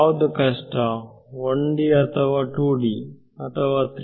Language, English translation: Kannada, So, which is harder 1D 2 D 3D